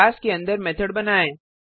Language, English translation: Hindi, Inside the class create a method